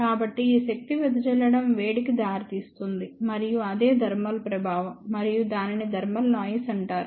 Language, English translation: Telugu, So, this power dissipation leads to the heat and that is what is thermal effect, and that is what is known as thermal noise